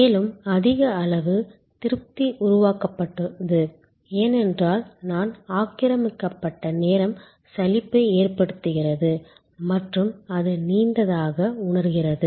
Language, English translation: Tamil, And thereby higher level of satisfaction is created, because I am occupied time is boring and it feels longer